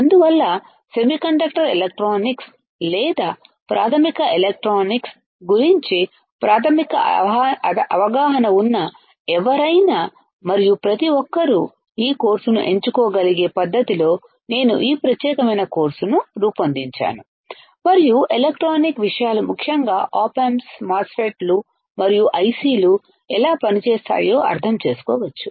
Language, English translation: Telugu, So, that is why I have molded this particular course in the fashion that anyone and everyone who has a basic understanding of semiconductor electronics or just basic electronics can opt for this course, and can understand how the electronic things are particularly op amps, particularly MOSFETs and ICs work